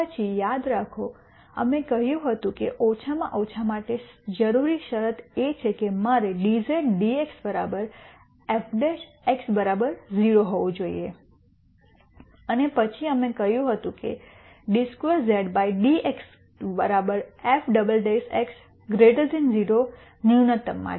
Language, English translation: Gujarati, Then remember we said the necessary condition for a minimum is that I should have dz dx equal to f prime x equal 0 and then we said d squared z dx squares equal to f double prime x is greater than 0 for minimum